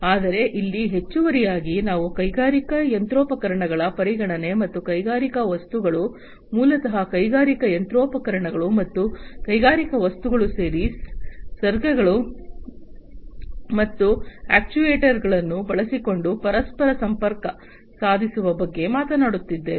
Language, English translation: Kannada, But, here additionally we are talking about consideration of industrial machinery, and industrial things, basically the industrial machinery, and industrial objects interconnecting them using sensors and actuators